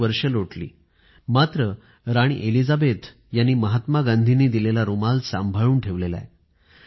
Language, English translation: Marathi, So many years have passed and yet, Queen Elizabeth has treasured the handkerchief gifted by Mahatma Gandhi